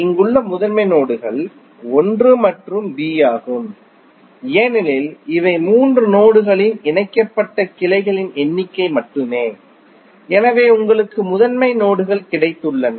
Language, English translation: Tamil, The principal nodes here are 1 and B because these are the only two nodes where number of branches connected at three, so you have got principal nodes